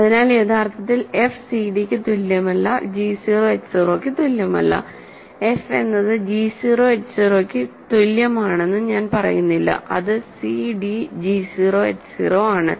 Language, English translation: Malayalam, So, this is actually not f is equal to cd, g 0 h 0, I should not say f is equal to g 0 h 0, it is cd g 0 h 0